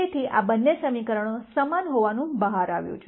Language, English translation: Gujarati, So, both these equations turn out to be the same